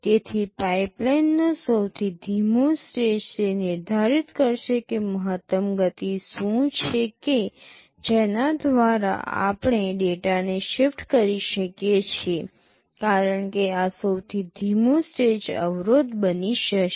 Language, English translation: Gujarati, So, the slowest stage in the pipeline will determine what is the maximum speed with which we can shift the data, because this slowest stage will be become the bottleneck